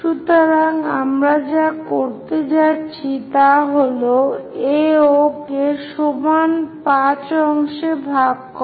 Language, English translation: Bengali, Then divide AO and AE into same number of points